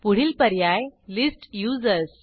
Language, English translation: Marathi, Then we have the option List Users